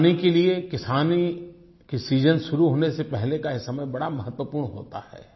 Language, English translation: Hindi, For farmers, the season just before onset of farming is of utmost importance